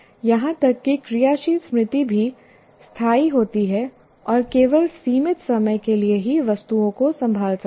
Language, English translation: Hindi, And even working memory is temporary and can deal with items only for a limited time